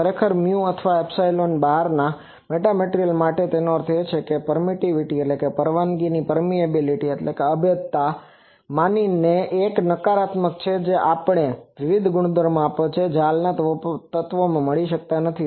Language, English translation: Gujarati, Actually for metamaterials out of mu or epsilon; that means, the permittivity and permeability one of them is negative that gives us various properties which are not found in existing material